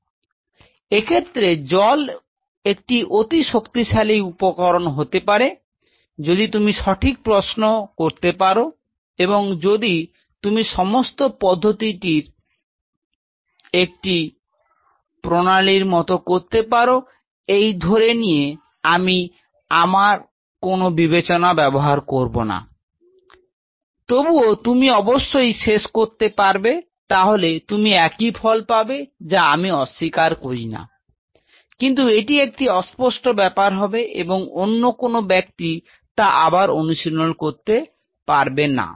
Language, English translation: Bengali, So, realizing that water profoundly powerful tool this could be provided you ask the right question, and if you do this whole process like just like a technique taking I just follow it without even putting my brain into place, you will end up with of course, you will get some results I am not denying that, but something which may be very ambiguous and many other people may not able to repeat it